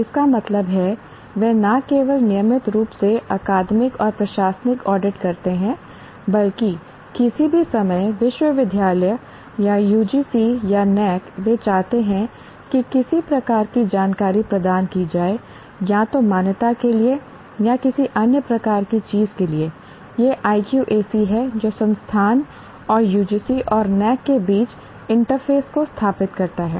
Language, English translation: Hindi, That means they are not only regularly conduct academic and administrative audit internally, but any time the university or UGC or NAC, they want certain type of information to be provided, either for accreditation or for any other kind of thing, it is the IQAC cell that places the interface between the institute and UGC and NAC